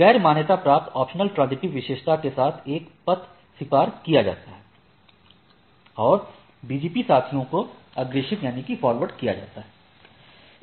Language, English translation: Hindi, By a path with a unrecognized optional transitive attribute is accepted and simply forwarded to the BGP peers